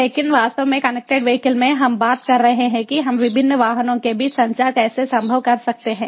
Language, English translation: Hindi, but in connected vehicles, actually we are talking about how we can make communication between different vehicles possible